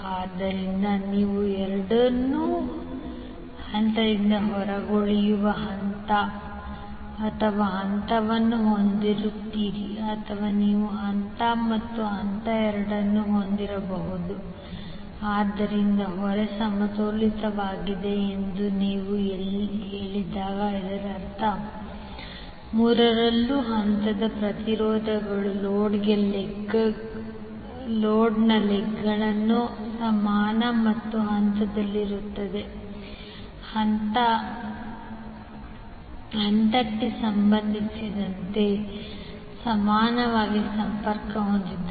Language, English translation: Kannada, So you will have the magnitude as well as phase both either of two will be out of phase or you can have magnitude as well as phase both out of phase, so when you say the load is balanced it means that phase impedances in all three legs of the load are equal and in phase, in phase means you will have equally connected with respect to phase